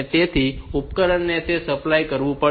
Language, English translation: Gujarati, So, the device will have to supply